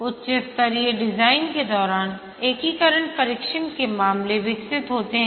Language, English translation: Hindi, During high level design, the integration test cases are developed